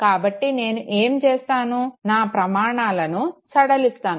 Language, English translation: Telugu, So what I would do, I would relax my criteria okay